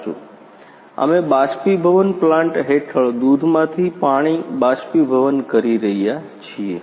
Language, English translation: Gujarati, Correct We are evaporating water from the milk under the evaporation plant